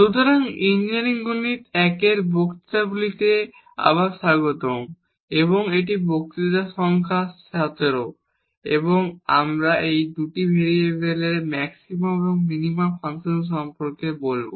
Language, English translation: Bengali, So welcome back to the lectures on Engineering Mathematics I and this is lecture number 17 and today we will be talking about the Maxima and Minima of Functions of Two Variables